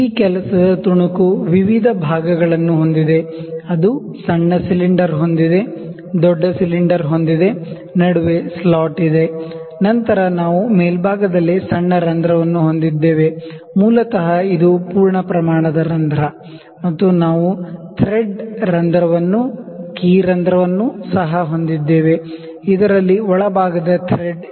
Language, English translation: Kannada, So, I can see you know now this work piece has various portions, it has a small cylinder, it has a big cylinder, you have a slot in between, ok, then we have a small hole on the upper side basically, this is the through hole and also we have a thread hole a keyhole that is also thread there internals thread here